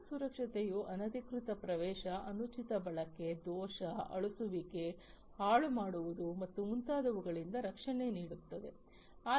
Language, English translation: Kannada, So, network security would provide protection from unauthorized access, improper use, fault, deletion, demolition, and so on